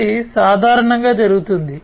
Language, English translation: Telugu, This is typically what is done